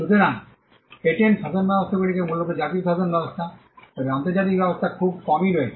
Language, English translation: Bengali, So, patent regimes are largely national regimes, but there are few international arrangements